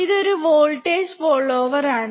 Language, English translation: Malayalam, This is a voltage follower